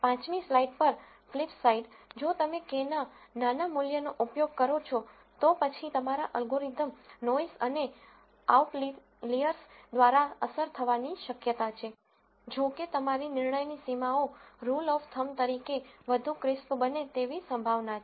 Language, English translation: Gujarati, On the fifth slide, flipside, if you use smaller values of k then your algorithm is likely to be affected by noise and outliers, however, your decision boundaries as a rule of thumb are likely to become crisper